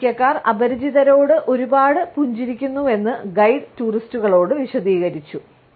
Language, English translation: Malayalam, Guide both explained to tourists that Americans smiled the strangers a lot